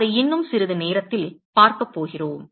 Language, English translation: Tamil, We are going to see that in short while